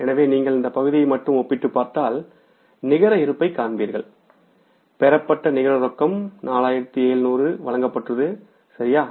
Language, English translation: Tamil, So, if you compare this part only then you will find the net balances, net cash receivolublish is 4,700s